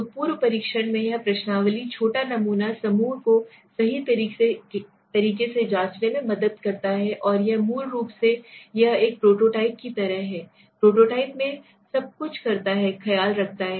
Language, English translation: Hindi, So in the pre testing it helps to test the questionnaires small sample group right, and it basically it takes care of everything it does everything that we do in a like a prototype it is a prototype right